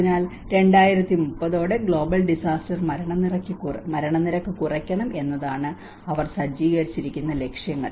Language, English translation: Malayalam, So the targets which they have set up is about they need to reduce the global disaster mortality by 2030